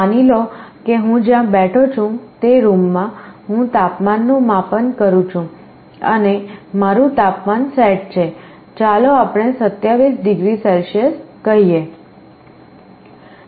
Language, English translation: Gujarati, Suppose in a room where I am sitting, I am measuring the temperature and I have a set temperature, let us say 27 degree Celsius